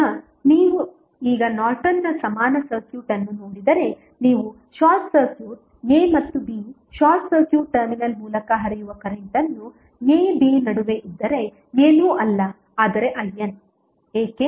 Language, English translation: Kannada, Now, if you see the Norton's equivalent circuit now if you short circuit a and b the current flowing through the short circuit terminal that is between a, b would be nothing but I N why